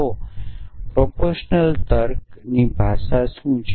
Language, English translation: Gujarati, So, what is the language of proportional logic